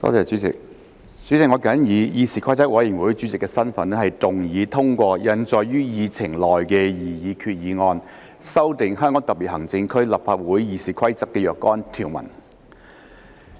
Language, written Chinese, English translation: Cantonese, 主席，我謹以議事規則委員會主席的身份，動議通過印載於議程內的擬議決議案，修訂《香港特別行政區立法會議事規則》的若干條文。, President in my capacity as Chairman of the Committee on Rules of Procedure I move that the proposed resolution as printed on the Agenda to amend certain rules of the Rules of Procedure of the Legislative Council of the Hong Kong Special Administrative Region RoP be passed